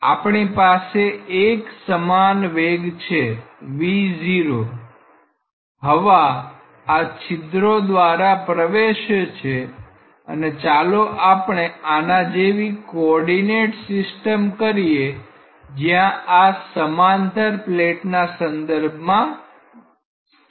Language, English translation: Gujarati, So, we have a uniform velocity say v naught with respect to which air is entering through these pores and let us have a coordinate system like this where this is symmetrically located with respect to the plate